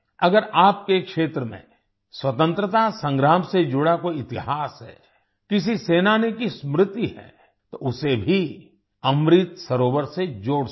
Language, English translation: Hindi, If there is any history related to freedom struggle in your area, if there is a memory of a freedom fighter, you can also connect it with Amrit Sarovar